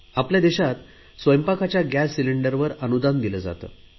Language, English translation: Marathi, In our country, we give subsidy for the gas cylinders